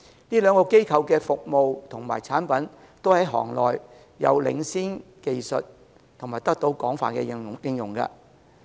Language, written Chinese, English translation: Cantonese, 這兩個機構的服務及產品均在行內具領先技術及得到廣泛應用。, It is a major project in Dongguan . The services and products of these two corporations occupy a leading position in the industry with extensive application